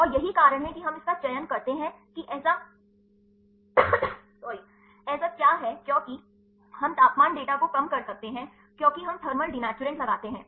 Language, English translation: Hindi, And this is the my the reason is why we choose this what is that because, we could less temperature data, because we put the thermal denaturant